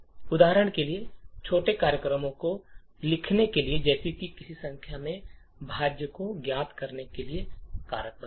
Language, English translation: Hindi, For example, to write small programs such as like factorizing a number of finding the factorial of a number, thank you